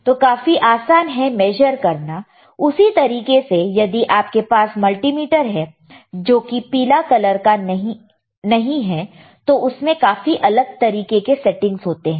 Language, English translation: Hindi, So, easy to measure similarly, if we have multimeter which is not the yellowish one, right; which is which has different kind of settings